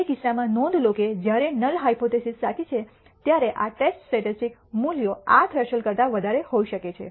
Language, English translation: Gujarati, In which case notice that when the null hypothesis is true this test statistic can have a value greater than this threshold